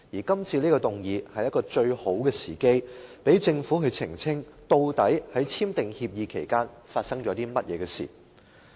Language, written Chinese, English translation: Cantonese, 今次的議案是一個最好的機會，讓政府澄清究竟在簽訂協議期間發生了甚麼事情。, This motion gives the Government a very good chance to clarify what had actually happened before the signing of an agreement